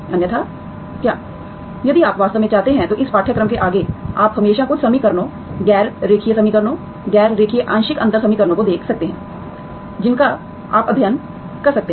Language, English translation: Hindi, Otherwise what, if you really want to, further to this course, you can always look at certain equations, nonlinear equations, non linear partial differential equations you can study